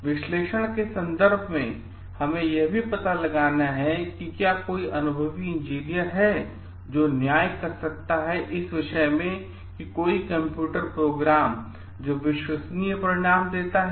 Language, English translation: Hindi, In terms of analysis, we have to find out like is there any experienced engineer who can judge a computer program which gives reliable results